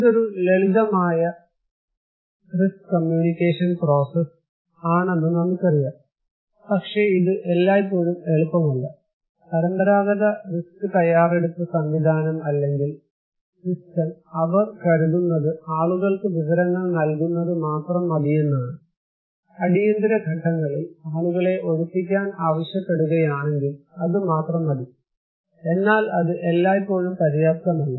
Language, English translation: Malayalam, We know this is called a simple risk communication process, right but it is not always easy, the conventional risk preparedness mechanism or system, they think that only providing information to the people is enough, if I ask people to evacuate during emergency that is enough but that is not always enough